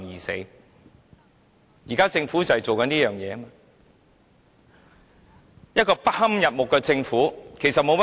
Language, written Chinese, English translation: Cantonese, 新政府仍然是一個不堪入目的政府，沒有甚麼改變。, The new Government is still a detestable Government . Nothing much has changed